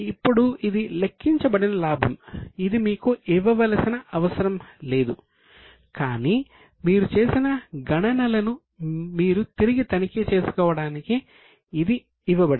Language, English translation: Telugu, Now this is the profit which is calculated actually it not be given to you, but it is given because you can recheck it whatever calculations you have done it